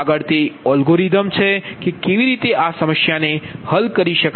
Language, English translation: Gujarati, next is that algorithm that how to solve this one, solve this problem